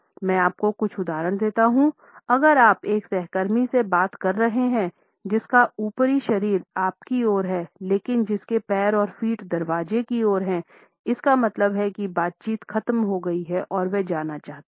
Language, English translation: Hindi, Let me give you a couple of examples; if for instance you are talking to a co worker; whose upper body is faced toward you, but whose feet and legs have turned an angle toward the door; realize that conversation is over her feet are telling you she wants to leave